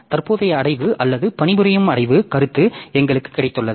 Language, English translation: Tamil, So, we have got the current directory or the working directory concept